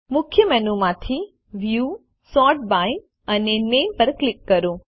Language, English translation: Gujarati, From the Main Menu, click on View, Sort by and Name